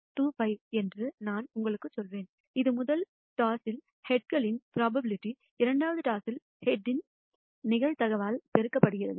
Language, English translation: Tamil, 25, which is the probability of heads in the first toss multiplied by the probability of head in the second toss